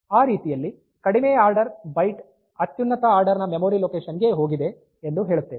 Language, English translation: Kannada, So, that way the lowest order byte has gone to the highest order memory location